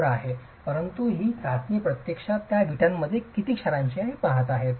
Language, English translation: Marathi, But this test is actually looking at how much of salts does that brick itself have